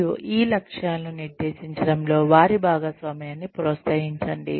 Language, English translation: Telugu, And, encourage their participation, in setting of these goals